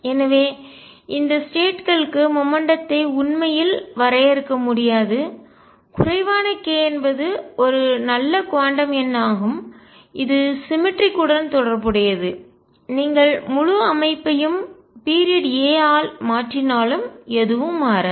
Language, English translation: Tamil, So, momentum cannot really be defined for these states none the less k is a good quantum number which is related to the cemetery that if you translate the whole system by the period a nothing changes